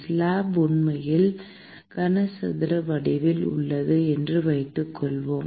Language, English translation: Tamil, Let us assume that the slab is actually is in a cuboid form